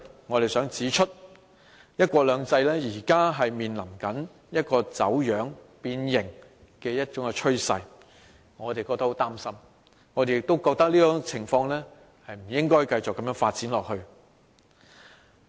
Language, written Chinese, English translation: Cantonese, 我們在信中指出，"一國兩制"現正面臨走樣、變形的趨勢，我們感到很擔心，認為這種情況不應繼續發展下去。, We stated in the letter that one country two systems was facing a trend of being distorted and deformed . We were really worried and considered that this situation should not continue to develop